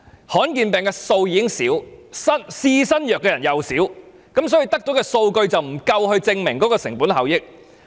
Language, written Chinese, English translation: Cantonese, 罕見疾病的數目已經少，試新藥的人也少，所以得到的數據不足以證明具成本效益。, When the number of rare diseases is small people trying the new drugs will also be small and the data available will thus fail to adequately support that using the drugs are cost - effective